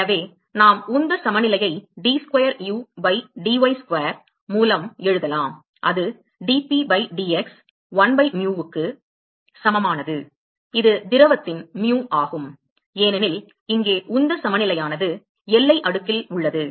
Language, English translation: Tamil, So, therefore, we can write the momentum balance is d square u by dy square that is equal to dP by dx 1 by mu; that is mu of liquid because here the momentum balance is in the boundary layer